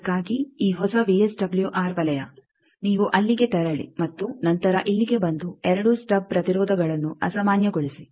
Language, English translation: Kannada, For that this new VSWR circle you move and move there then, come here are normalize the 2 stub impedances